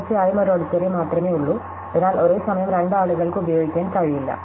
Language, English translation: Malayalam, Of course, there is only one auditorium, so two people cannot use it at the same time